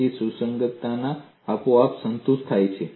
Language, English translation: Gujarati, So, compatibility is automatically satisfied